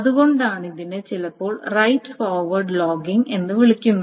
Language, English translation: Malayalam, So that is why this is sometimes called a right ahead logging